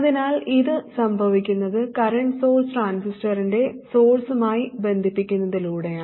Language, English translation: Malayalam, So this happens just by virtue of connecting the current source to the source of the transistor